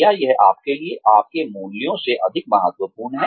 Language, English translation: Hindi, Is it more important for you than, your values